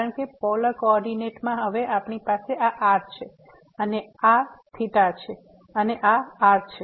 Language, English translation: Gujarati, Because in the polar coordinate, now we have this and this is theta and this is